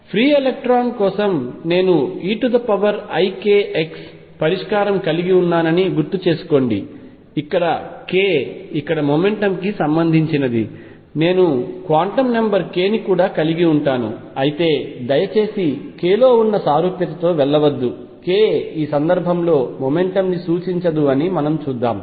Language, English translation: Telugu, Recall that for free electrons I had the solution e raise to i k x, where k was related to momentum here also I am going to have a quantum number k, but please do not go by the similarity in the notation k does not represent the momentum in this case as we will see